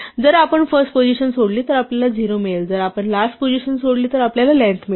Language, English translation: Marathi, If we leave out the first position, we get a 0; if we leave out the last position, we get the length